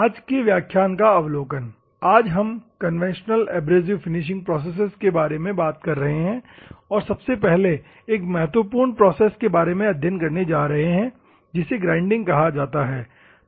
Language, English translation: Hindi, The overview of today’s class, we are just going to see the conventional abrasive finishing processes, and we are going to study the first and foremost and important one that is called the grinding process